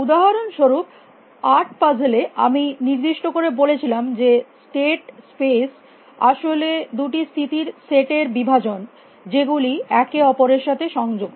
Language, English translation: Bengali, For example, in the eight puzzles I had pointed out that the state space is actually partition into two sets of states which are connected to each other